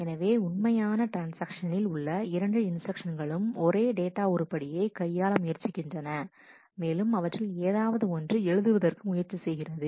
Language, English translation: Tamil, So, these 2 instructions from true transactions are trying to manipulate the same data item, and at least one of them is trying to write